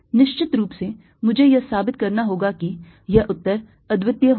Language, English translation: Hindi, off course, i have to prove that that answer is going to be unique